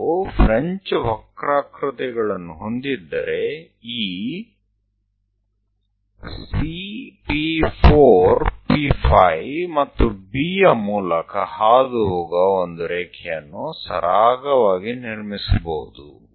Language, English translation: Kannada, So, if we have French curves, one can smoothly construct a nice line which is passing through that C P 4 P 5 and B